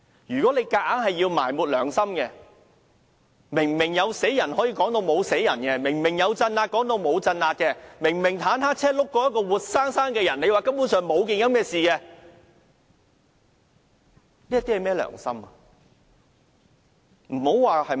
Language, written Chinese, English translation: Cantonese, 如果要強行埋沒良心，明明有人死了，也可以說沒有人死；明明有鎮壓，也可以說沒有鎮壓；明明坦克車輾過一個活生生的人，也可以說根本沒有這回事，這是甚麼良心？, If conscience is buried arbitrarily and if people were clearly killed but it could be said that no one died and if there was clearly suppression but it could be said that there was no suppression and if a tank had clearly run over a living man and it could be said that no such thing had happened what conscience is this?